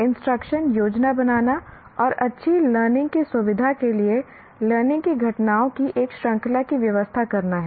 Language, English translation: Hindi, Instruction is planning and conducting, arranging a series of learning events to facilitate good learning